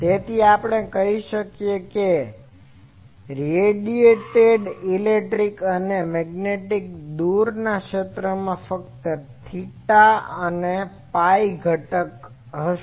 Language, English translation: Gujarati, So, we can say that the radiated electric and magnetic far fields have only theta and phi component